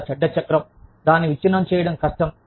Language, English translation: Telugu, A very bad cycle, that is hard to break